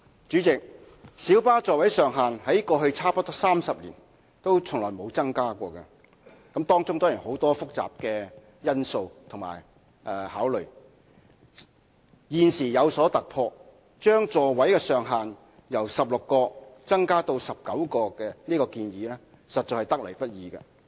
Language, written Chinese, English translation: Cantonese, 主席，小巴座位上限在過去差不多30年從未有增加，當中固然涉及很多複雜的因素和考慮；現時有所突破，將座位上限由16個增加至19個的建議實在得來不易。, President the maximum seating capacity of light buses has not been increased for almost 30 years . There are certainly many complicated factors and considerations involved . There is a breakthrough now; and the proposal to increase the maximum seating capacity from 16 to 19 is indeed not easy to come by